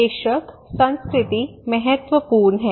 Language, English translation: Hindi, Of course culture is an important